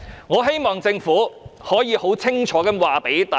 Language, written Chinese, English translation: Cantonese, 我希望政府能夠清楚告訴大家。, I hope that the Government can clearly explain to us